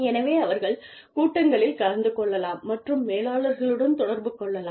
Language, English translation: Tamil, So, they can attend meetings, and interact with the managers